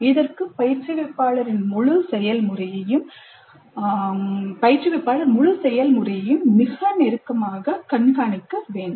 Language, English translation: Tamil, This requires very close monitoring the whole process by the instructor